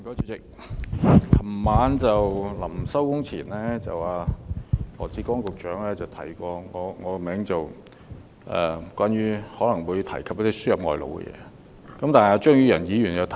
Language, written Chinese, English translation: Cantonese, 主席，在昨晚會議暫停前，羅致光局長提及我的名字，指我可能會提述輸入外勞的議題。, President before the meeting was suspended last night Dr LAW Chi - kwong Secretary for Labour and Welfare mentioned that I might bring up the issue of importation of labour